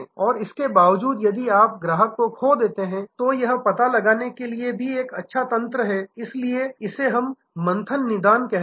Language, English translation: Hindi, And in spite of that if you lose the customer then also have a good mechanism to find out, so this is what we call churn diagnostics